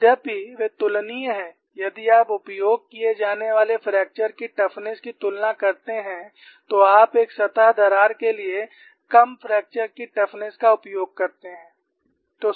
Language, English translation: Hindi, If you compare the fracture toughness to be used, you use lower fracture toughness for as surface crack